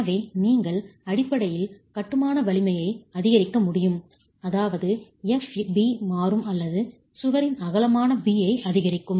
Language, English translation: Tamil, So, you can basically increase the strength of masonry, which means FB will change or increase B which is the width of the wall